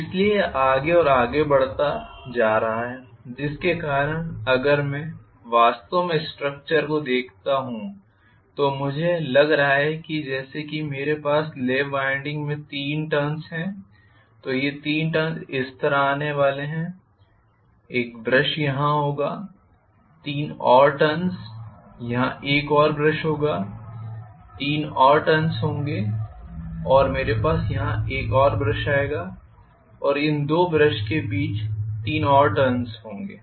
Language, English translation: Hindi, So it is going to go further and further so because of which if I actually look at the structure, I am going to have the lap winding looking as though if I have three turns, three turns are going to come like this, one brush will come up here, three more turns I will have one more brush coming up here, three more turns and I will have one more brush coming up here, and three more turns between these two brushes